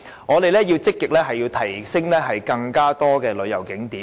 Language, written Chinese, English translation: Cantonese, 我們要積極提升更多的旅遊景點。, We have to make proactive efforts to enhance and increase tourist attractions